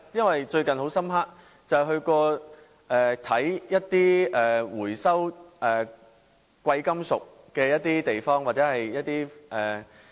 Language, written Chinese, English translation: Cantonese, 我最近到過一些回收貴金屬的地方，印象很深刻。, My recent visits to precious metals recycling yards left a strong impression on me